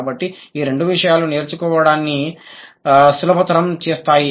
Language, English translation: Telugu, So, these are the two things which facilitated acquisition